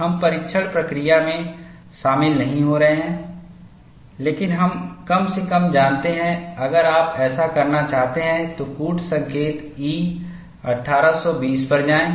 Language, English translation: Hindi, We are not getting into the test procedure, but we at least know, if you want to do that, go to code E 1820